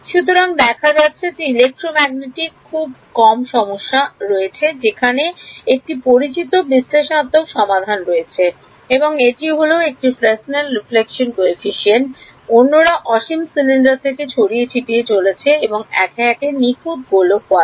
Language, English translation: Bengali, So, it turns out there are very very few problems in electromagnetic where there is a known analytical solution and one is this Fresnel reflection coefficient, the others are scattering from infinite cylinder and a perfect sphere these are called Mie series solutions cylinder and sphere